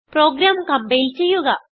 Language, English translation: Malayalam, Let us compile the program